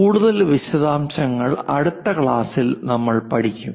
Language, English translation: Malayalam, More details we will learn it in the next class